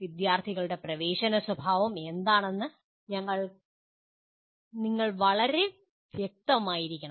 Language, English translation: Malayalam, And then you must be very clear about what is the entering behavior of students